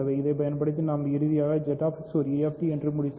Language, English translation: Tamil, Using that we have finally settled that Z X is a UFD ok